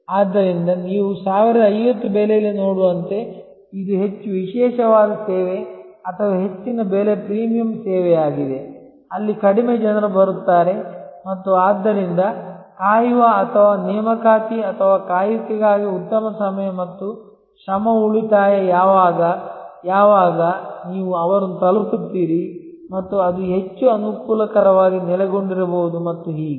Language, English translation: Kannada, So, as you can see for at price of 1050, this is the more exclusive service or more a higher price premium service, where fewer people come and therefore, there is a better time and effort saving of waiting or for appointment or waiting, when you arrive their and it may be more conveniently located and so on